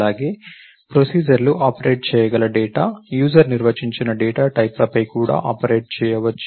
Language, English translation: Telugu, And also the data on which the procedures operators can operates, can also the user defined data types